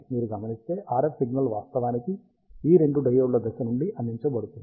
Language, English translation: Telugu, And if you observe, the RF signal is actually provided out of phase for these two diodes